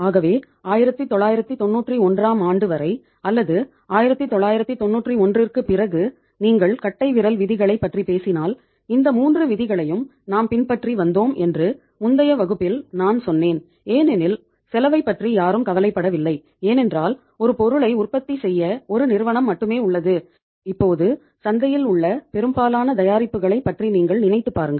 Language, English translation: Tamil, So I told you that earlier if you talk about the rules of thumbs uh till 1991 or a little after 1991 even so we were following these 3 rules and the reason I say explained in the previous class because uh say if nobody is bothered about the cost because only there is a single player in the market of manufacturing one product and now you you think of most of the products in the market